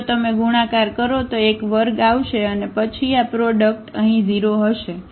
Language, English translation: Gujarati, So, if you multiply this a square will come and then this product will be 0 here